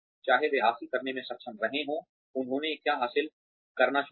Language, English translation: Hindi, Whether they have been able to achieve, what they started out to achieve